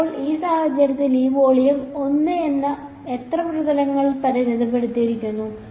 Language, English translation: Malayalam, Now, in this case this volume one is bounded by how many surfaces